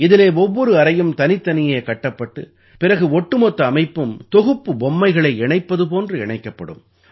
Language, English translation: Tamil, In this, every room will be constructed separately and then the entire structure will be joined together the way block toys are joined